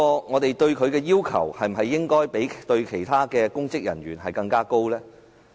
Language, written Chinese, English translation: Cantonese, 我們對她的要求，是否應比對其他公職人員的要求更高？, Should we have higher expectations of her conduct than that of other public officers?